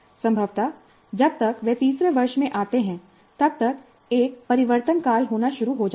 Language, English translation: Hindi, Probably by the time they come to third year, a transition begins to take place